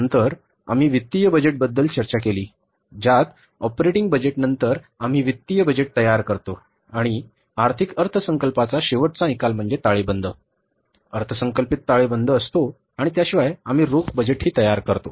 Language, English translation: Marathi, It means after the operating budget we prepared the financial budget and the end result of the financial budget is that is the budgeted balance sheet and apart from that we also prepare the cash budget